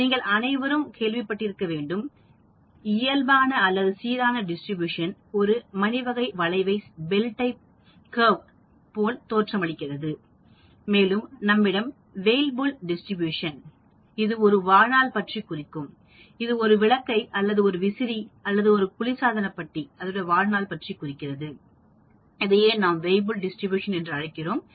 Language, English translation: Tamil, You must all heard of normal or the uniform distribution which looks like a bell type of curve and also we have the Weibull distribution which discusses the life of, say for example, a light bulb or a fan or a refrigerator that is called the Weibull distribution